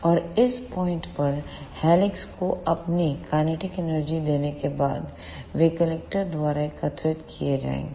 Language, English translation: Hindi, And after giving up their kinetic energy to helix at this point, they will be collected by the collector